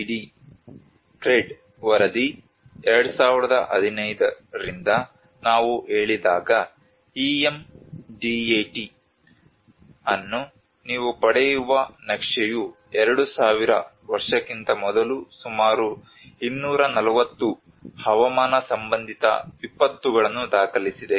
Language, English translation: Kannada, When we say about from the CRED report 2015, this is what the map you get the EM DAT has recorded about 240 climate related disasters per year before 2000